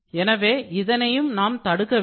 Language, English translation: Tamil, So, this needs to be avoided